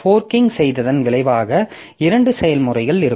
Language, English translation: Tamil, So, what this fork does is that it creates two processes